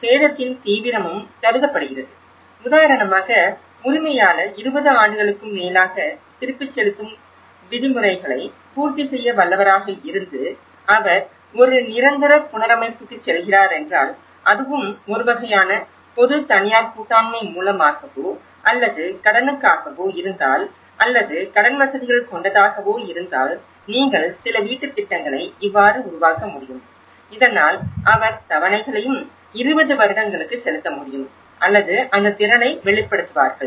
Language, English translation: Tamil, So, the intensity of the damage is also considered, the owner is capable of meeting the repayment terms over 20 years for instance, if he is going for a permanent reconstruction and if it is through a kind of public private partnerships or to a loan or credit facilities so, how you can also establish certain housing schemes, so that he can pay instalments and 20 years or so that they will also see that capability